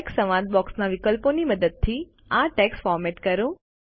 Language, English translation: Gujarati, Format this text using the options in the Text dialog box